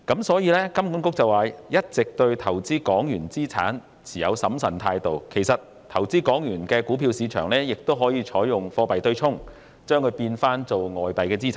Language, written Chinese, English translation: Cantonese, 所以，金管局說一直對投資港元資產持審慎態度，其實投資港元的股票市場亦可採用貨幣對沖，將之變成外幣資產。, In this connection while HKMA claims that it has been cautious towards investing in Hong Kong dollar assets actually currency hedging can be carried out to turn investment in Hong Kong dollar stocks into investment in foreign currency assets